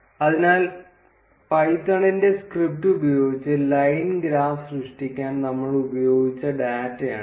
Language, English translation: Malayalam, So, this is the data that we used to create the line graph using the python's script